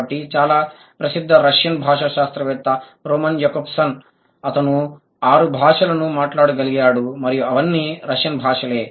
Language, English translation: Telugu, So, the very famous Russian linguist Roman Jakobson, he has, he was able to speak six languages and all of them, that Russian right